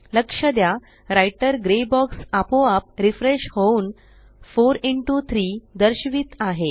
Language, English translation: Marathi, Notice that the Writer gray box has refreshed automatically and it displays 4 into 3